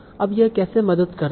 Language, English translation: Hindi, Now how does that help